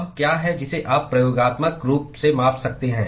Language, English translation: Hindi, What is it that you can measure experimentally